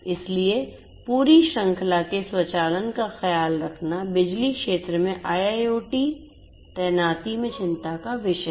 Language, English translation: Hindi, So, taking care of the automation of the whole chain is what is of concern in the IIoT deployment in the power sector